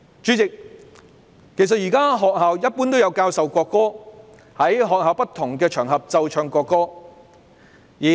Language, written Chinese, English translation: Cantonese, 主席，學校現時一般有教授國歌，也有在學校不同場合奏唱國歌。, At present Chairman schools have in general taught the national anthem and will play and sing the national anthem on different occasions